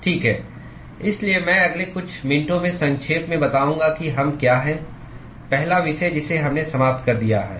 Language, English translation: Hindi, Okay, so, I am going to quickly summarize in the next couple of minutes what we the first topic that we have finished